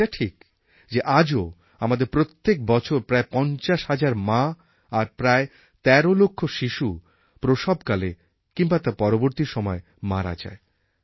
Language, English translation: Bengali, And it is true that in our country about 50,000 mothers and almost 13 lakh children die during delivery or immediately after it every year